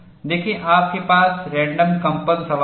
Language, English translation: Hindi, See, you have random vibration problem